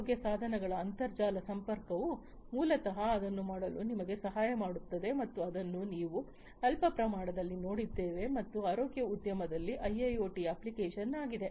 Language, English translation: Kannada, Connectivity of healthcare devices to the internet will basically help you in doing it and this is what we had seen in a very small scale and application of IIoT in the healthcare industry